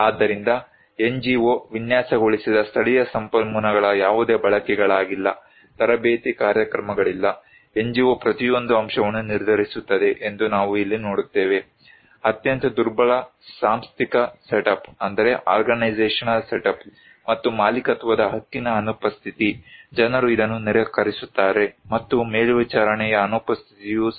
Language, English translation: Kannada, So, what do we see here that no utilisations of local resources designed by the NGO, no training program, NGO decide every aspect; very weak organizational setup and absence of ownership right, people refuse this one and absence of monitoring also